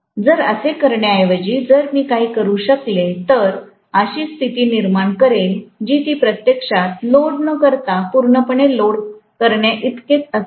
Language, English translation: Marathi, So, rather than doing that, if I can do something like create you know such kind of condition which will be equivalent to loading it fully without actually loading it